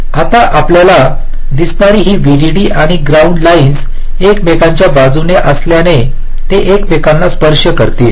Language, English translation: Marathi, now this vdd and ground lines, you see, since the placed side by side they will be touching one another